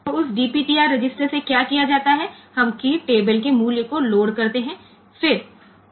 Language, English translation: Hindi, So, what is done from that DPTR register we load the value of key table, then movc A comma at the rate a plus dp DPTR